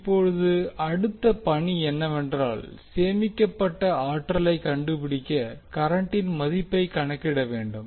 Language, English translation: Tamil, Now the next task is that to find the energy stored, we have to calculate the value of current